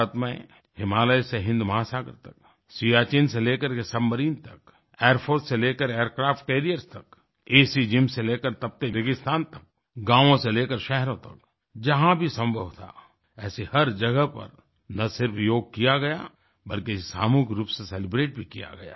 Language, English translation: Hindi, In India, over the Himalayas, across the Indian Ocean, from the lofty heights of Siachen to the depths of a Submarine, from airforce to aircraft carriers, from airconditioned gyms to hot desert and from villages to cities wherever possible, yoga was not just practiced everywhere, but was also celebrated collectively